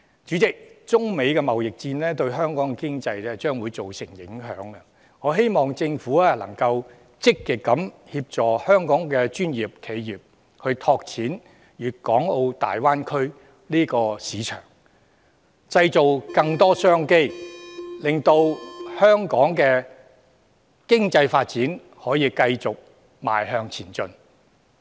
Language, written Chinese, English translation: Cantonese, 主席，中美貿易戰將會對香港的經濟造成影響，我希望政府積極協助香港的專業企業，拓展大灣區市場，製造更多商機，令香港的經濟發展繼續向前邁進。, President the China - United States trade war is going to make an impact on Hong Kongs economy . I hope the Government can proactively help Hong Kongs professional enterprises expand market in the Greater Bay Area thereby creating more business opportunities and facilitating the continued forward development of Hong Kongs economy